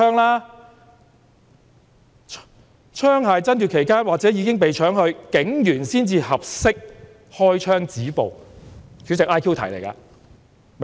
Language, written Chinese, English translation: Cantonese, "再者："槍械爭奪期間或者已經被搶去，警員才合適開槍止暴。, He also said It was only appropriate for the police officer to fire to stop the violence when a person was snatching the gun or when the gun was snatched